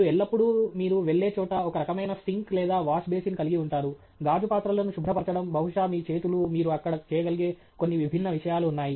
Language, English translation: Telugu, We always have, you know, some kind of a sink or a washbasin where you are going to, you know, clean may be glass utensils, may be your hands, few different things that you might do there